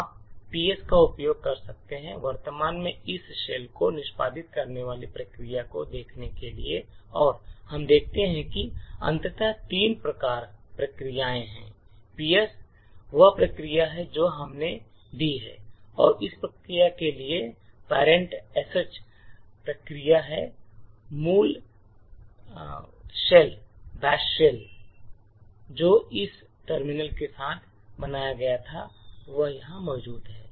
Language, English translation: Hindi, So, this shell is the SH shell so we can do all the shell commands you can also look at PS that is the processes that are executing in this shell and we see that, infact, there are three processes, PS is the process that is the command that we have given and the parent for this process is the SH process and the original batch shell which was created with this terminal is present here